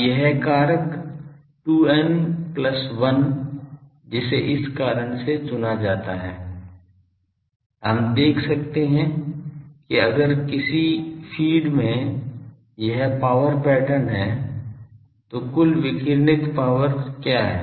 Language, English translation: Hindi, Now, this factor 2 n plus 1 that is chosen for a reason that we can see that if a feed has this power pattern, what is the total power radiated